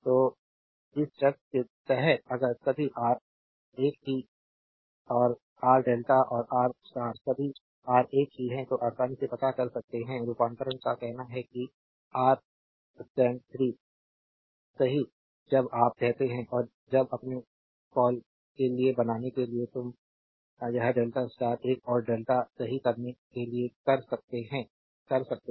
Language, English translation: Hindi, So, under this condition if you make all R same right and R delta and R star all R same, then easily you can find out is conversion say R stand will be R delta by 3 right when you say and when you making for your what you call then one you can make it delta to star another you can make star to delta right